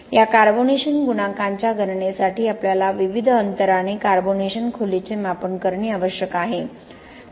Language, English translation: Marathi, For the calculation of this carbonation coefficient we need to have the carbonation depth measurement at various intervals